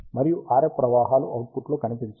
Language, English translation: Telugu, And the RF currents do not appear in the output